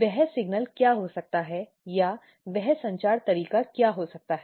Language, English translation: Hindi, What could be that signal or what could be that communication way